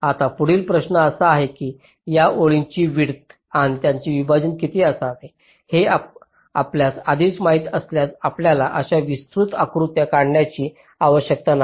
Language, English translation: Marathi, now the next question is: if we already know how much should be the width and the separation of these lines, then we need not require to draw such elaborate diagram